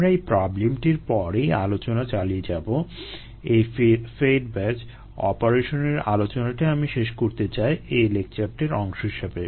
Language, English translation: Bengali, ah, we will continue after this problem, also this, the fed batch operation, which i would like to complete as a part of this particular lecture it'self